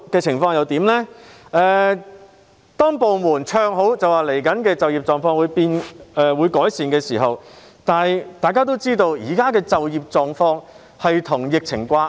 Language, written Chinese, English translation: Cantonese, 此後，部門唱好並表示未來的就業情況會有改善，但大家都知道就業狀況與疫情掛鈎。, Since then some departments have sounded an optimistic note saying that the future employment situation will improve but we all know that the employment situation is correlated to the epidemic situation